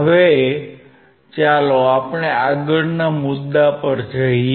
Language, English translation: Gujarati, Now let us go to the next one